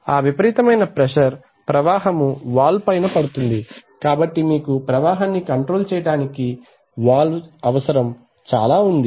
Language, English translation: Telugu, So that tremendous pressure will be created to the stream of the valve which will, so still you have to have the valve because you want to control flow